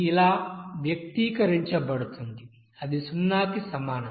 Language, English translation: Telugu, That will be equals to zero